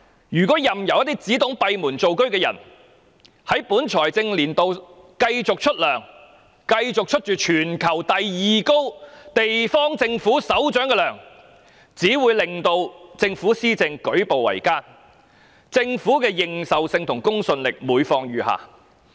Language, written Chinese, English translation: Cantonese, 任由一個只懂閉門造車的人在本財政年度繼續支薪，繼續支取全球第二最高的政府首長薪酬，只會令政府施政舉步維艱，政府的認受性和公信力每況愈下。, If we allow a person who does everything behind closed doors to continue receiving emoluments in the current financial year and enjoying the second highest pay among government leaders in the world the Government will only meet great difficulties in implementing its policies and its legitimacy and credibility will only be further undermined